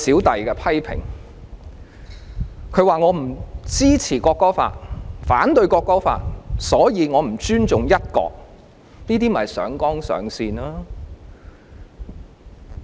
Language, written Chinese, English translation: Cantonese, 他們指我不支持並反對《條例草案》，所以我就是不尊重"一國"，這就是上綱上線。, As pointed out by HKMAO I have not supported and have opposed the Bill so I do not respect one country . They are making a mountain out of a molehill